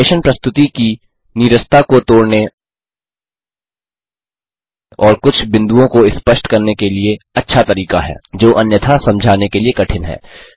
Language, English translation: Hindi, Animation is a good way to break the monotony of a presentation and helps to illustrate certain points Which are difficult to explain otherwise however, be careful not to overdo it